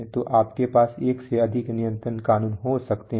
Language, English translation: Hindi, So you may have more than one control law